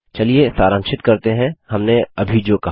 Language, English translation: Hindi, Let us summarize what we just said